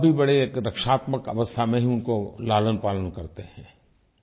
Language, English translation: Hindi, Parents also raise their children in a very protective manner